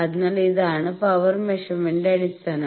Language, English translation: Malayalam, So, this is the basis of power measurement